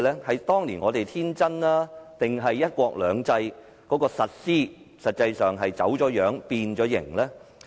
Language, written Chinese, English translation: Cantonese, 是當年我們太天真，還是"一國兩制"的實施已走樣、變形？, Were we too innocent back then or has the implementation of one country two systems been distorted and deformed?